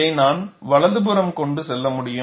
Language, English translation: Tamil, And I can take this to right hand side, I can knock off this